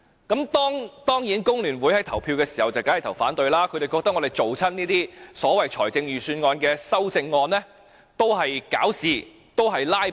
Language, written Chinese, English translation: Cantonese, 至於工聯會，他們當然是投票反對，因為他們認為我們提出這些所謂預算案修正案志在搞事和"拉布"。, As for the Hong Kong Federation of Trade Unions FTU of course they voted against it as they considered our so - called amendments to the Budget intentional troubles and filibusters